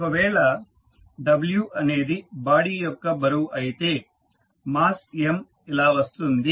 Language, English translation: Telugu, If w is the weight of the body then mass M can be given as M is equal to w by g